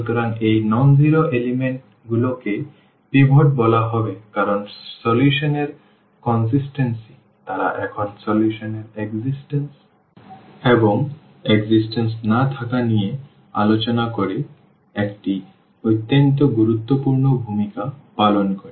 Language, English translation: Bengali, So, these such elements the such non zero elements will be called pivot because they play a very important role now discussing about the about the consistency of the solution about the existence non existence of the solution